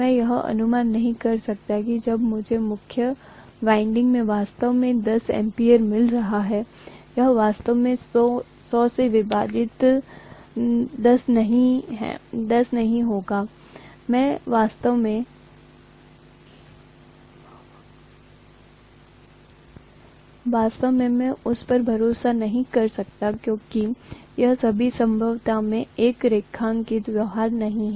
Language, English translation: Hindi, I can’t assume that when I am actually coming to 10 ampere in the main winding, it will not be really 10 divided by 100, I cannot really rely on that because it is not a linear behavior in all probability